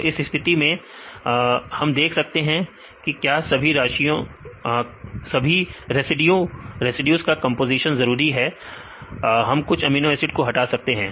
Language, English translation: Hindi, So, in this case we see whether the composition of all the residues are necessary or we can eliminate some of the amino acids